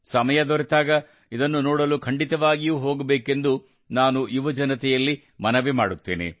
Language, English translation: Kannada, I would like to urge the youth that whenever they get time, they must visit it